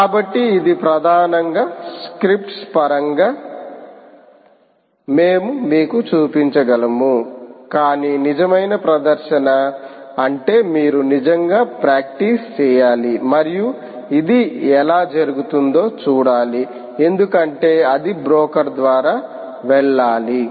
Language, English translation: Telugu, so this is mainly what you can, what we can show you in terms of scripts, but a real demonstration would mean that you should actually practice by yourself and see how exactly it happens, because it has to pass through the broker